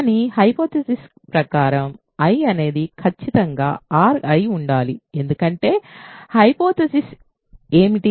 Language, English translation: Telugu, But by the hypothesis I must be R because what is the hypothesis